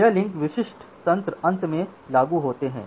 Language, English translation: Hindi, So, these link specific mechanisms are finally applied